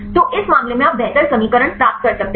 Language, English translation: Hindi, So, in this case you can get the better equations